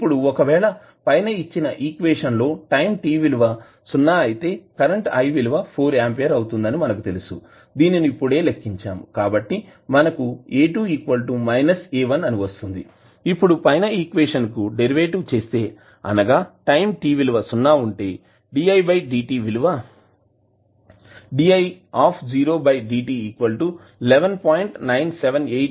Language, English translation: Telugu, Now if you put the value of t is equal to 0 in the above equation you know that i at time t is equal to 0 is 4 which you just calculated so you get A2 is equal to minus A1, now if you take the derivative of the above equation di by dt you will get this expression at time t is equal to 0, di 0 by dt is nothing but minus 11